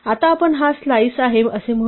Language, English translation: Marathi, In the same way we can also take slices